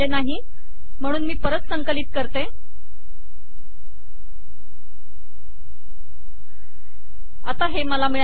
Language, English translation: Marathi, So let me re compile it, so now I have got this